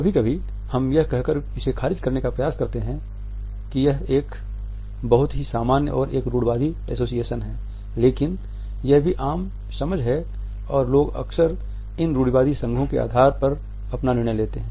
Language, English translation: Hindi, Sometimes we can try to write it off by saying that it is a very common and a stereotypical association, but this is also the common understanding and people often make their judgement on the basis of these a stereotypical associations only